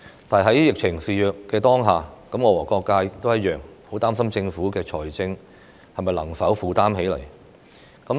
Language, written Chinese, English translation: Cantonese, 但是，在疫情肆虐的當下，我和各界同樣很擔心政府在財政上能否負擔得來。, Yet in the face of the pandemic the community and I are worried that if the Government can afford the project from a financial point of view